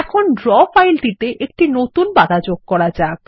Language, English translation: Bengali, Lets add a new page to the Draw file